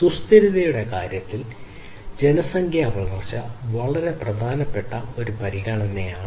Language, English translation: Malayalam, So, population growth is a very important consideration in terms of sustainability